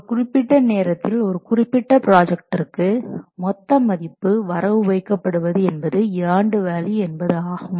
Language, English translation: Tamil, And value is the total value which is credited to a project at any particular point of time